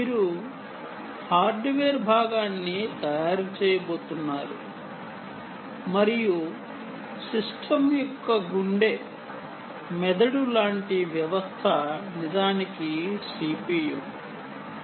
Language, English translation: Telugu, you are going to make a piece of hardware and the heart of the system, the brain of the system, indeed, is the c